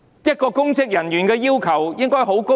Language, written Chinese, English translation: Cantonese, 對公職人員的要求應該很高。, We have very high requirements for public officials